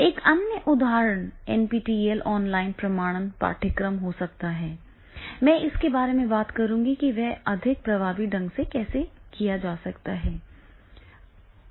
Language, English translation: Hindi, And this is the NPTL online certifications courses will also be the I will talking about that how they are working more effectively